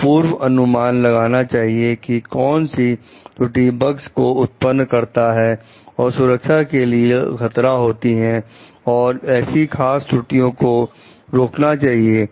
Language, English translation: Hindi, So, at a foresee like which errors might cause the bugs that will present safety hazards and try to like prevent those specific error